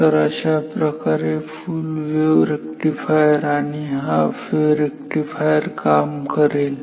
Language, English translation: Marathi, So, this is what a full wave rectifier and a half wave rectifier does